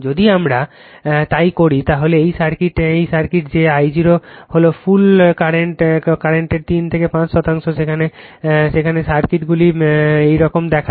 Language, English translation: Bengali, If we do so then this circuit that your I 0 is 3 to 5 percent of the full load current where circuits looks like this